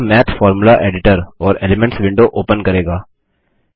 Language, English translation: Hindi, This brings up the Math Formula Editor and the Elements window